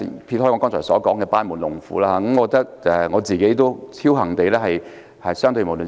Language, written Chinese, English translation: Cantonese, 撇開我剛才所說的班門弄斧，我認為自己屬僥幸的一群。, Just putting aside what I just said about me teaching a fish to swim I consider myself to be one of the lucky ones